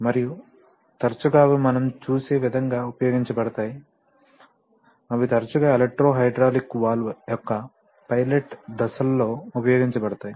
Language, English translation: Telugu, And often they are used as we will see, they are often used in pilot stages of electro hydraulic valve